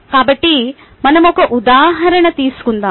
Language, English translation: Telugu, so let us take one example